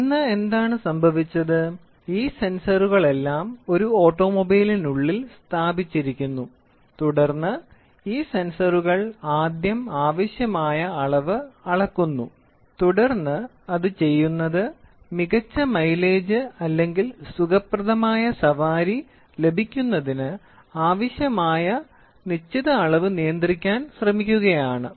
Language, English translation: Malayalam, Today what has happened, all these sensors are placed inside an automobile and then these sensors first measure the required quantity and then what they do is they try to control certain quantity to get the best mileage or a comfortable ride